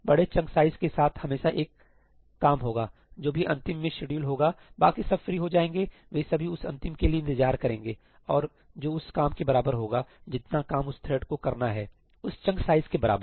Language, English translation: Hindi, With bigger chunk sizes, there will always be one job whichever one gets scheduled last, the others get free, they have to wait for that last one to complete and that could be as much as the length of that job, the work, the amount of work that thread has to do, that chunk size